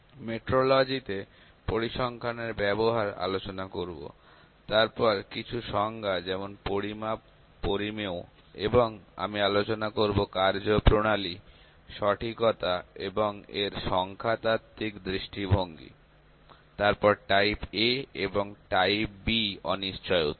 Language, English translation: Bengali, Use of statistics in metrology that will discuss, then certain definitions like measurement, measured and I also discuss procedure and accuracy, the statistical view point of that, then type A and type B uncertainties